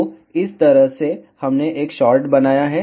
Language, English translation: Hindi, So, in this way we have created a short